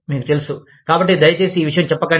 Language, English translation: Telugu, You know, so, please, do not say this